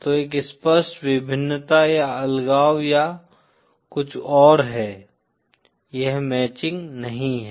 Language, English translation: Hindi, So there is an apparent dichotomy or something, it is not matching